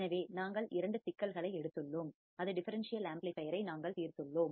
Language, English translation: Tamil, So, we have taken two problems in which we have solved the differential amplifier right